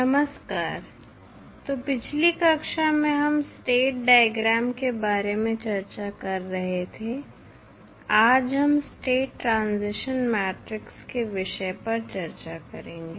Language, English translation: Hindi, Namaskar, so in last class we were discussing about the state diagram, today we will discuss about the State Transition Matrix